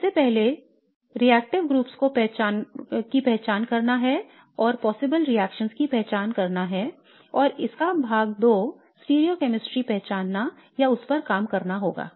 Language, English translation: Hindi, First is to identify the reactive groups and identify the possible reactions and part two of this would be to identify or to work on the stereochemistry